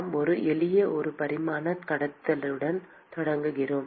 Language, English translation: Tamil, We start with a simple one dimensional conduction